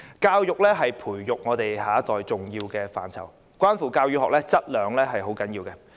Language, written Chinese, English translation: Cantonese, 教育是培育我們下一代的重要範疇，關乎教與學質量並重。, Education is a key area for nurturing our next generation the quality of both teaching and learning is equally important